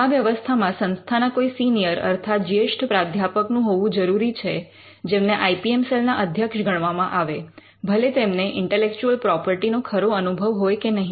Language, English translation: Gujarati, Now, the setup would involve a senior professor from the institution, who is regarded as the head of the IPM cell and this could be regardless of whether the person has actual intellectual property experience or not